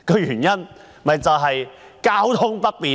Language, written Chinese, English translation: Cantonese, 原因是交通不便。, Because of inconvenient transportation